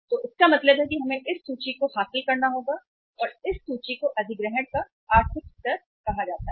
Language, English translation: Hindi, So it means we have to acquire this much of inventory and this inventory is called as the economic level of acquiring